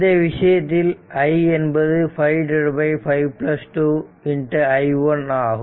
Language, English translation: Tamil, So, in this case this is 5 by 5 plus 2 into i1